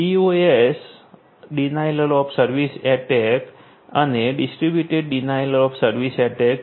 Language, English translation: Gujarati, DoS or DDoS; Denial of Service and Distributed Denial of Service attacks